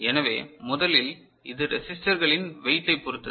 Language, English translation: Tamil, So, first of all this depends on the weights of the resistors